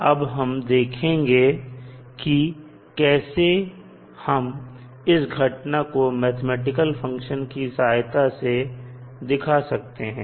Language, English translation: Hindi, So, we will see how we will represent that particular phenomena with the help of a mathematical function